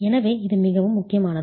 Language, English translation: Tamil, So, this is extremely important